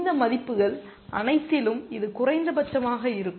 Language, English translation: Tamil, It is going to be the minimum of all these values